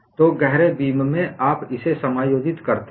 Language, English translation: Hindi, So, in deep beams, you accommodate that